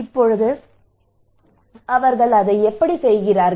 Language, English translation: Tamil, Now how they do it